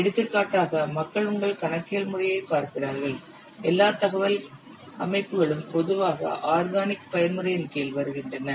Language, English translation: Tamil, For example, if you will see your accounting system, all the information systems are normally coming under organic mode